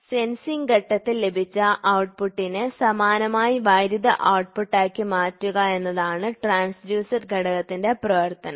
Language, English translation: Malayalam, The transduction element the function of a transduction element is to transform the output obtained by the sensing element to an analogous electrical output